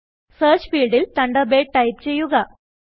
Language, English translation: Malayalam, In the Search field, that appears, type Thunderbird